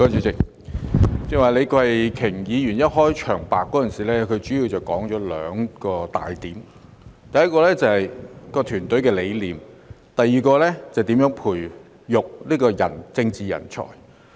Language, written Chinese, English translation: Cantonese, 主席，李慧琼議員剛才在開場白中說出兩大重點：第一是團隊的理念，第二是如何培育政治人才。, President Ms Starry LEE has just made two key points in her opening speech first the philosophy of a team and second how to nurture political talents